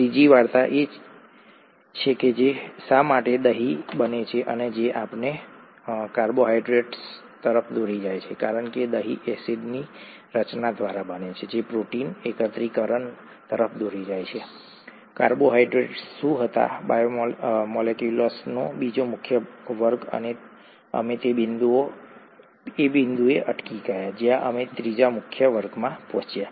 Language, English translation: Gujarati, The third story is why curd gets formed which led us to carbohydrates because curd gets formed by acid formation that leads to protein aggregation, what carbohydrates were the second major class of biomolecules and we stopped at the point where we reached the third major class of biomolecules which happens to be proteins, proteins or amino acids as you call it